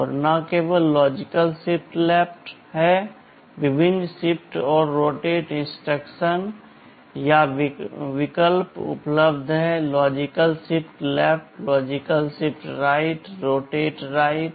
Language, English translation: Hindi, And, not only logical shift left, there are various shift and rotate instructions or options available; logical shift left, logical shift right, rotate right